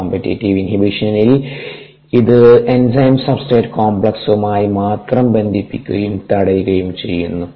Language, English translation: Malayalam, in the uncompetitive inhibition, it binds only to the enzyme substrate complex and inhibits